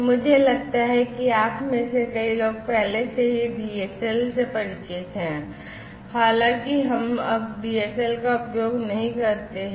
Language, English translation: Hindi, DSL I think many of you are already familiar with DSL, although we tend not to use DSL much anymore